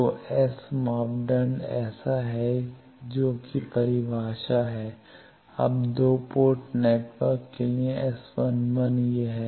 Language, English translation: Hindi, So, S parameter is like this that is the definition, now for a 2 port network s1 one is this